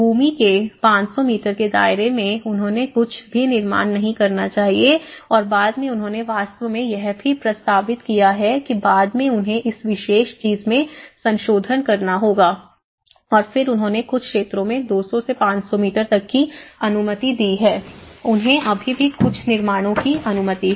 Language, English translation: Hindi, Like as per the 500 meters of the landward site they should not construct anything and later also they have actually proposed that you know, you have to they have amended this particular thing later on and then they allowed to some areas 200 to 500 meters you can still permit some constructions